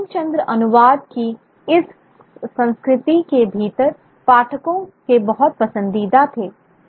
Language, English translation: Hindi, Bunkim Chandra was a great favorite of the readers within this culture of translation